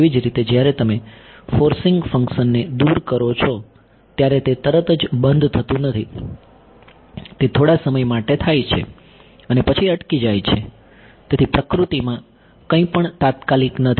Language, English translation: Gujarati, Similarly, when you remove the forcing function it does not instantaneously stop it goes for a while and then stops right, so nothing is instantaneous in nature right